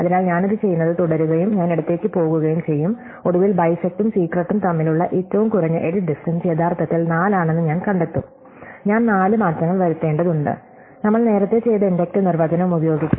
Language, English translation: Malayalam, So, I keep doing this and I go left, eventually I will find that the minimum edit distance between bisect and secret is actually 4, I need to make four changes, just using the inductive definition that we have done earlier